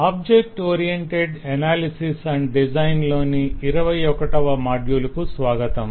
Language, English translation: Telugu, welcome to module 21 of object oriented analysis and design